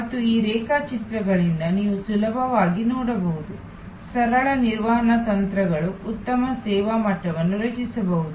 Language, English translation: Kannada, And you can easily see from these diagrams, that simple management techniques can create a much better service level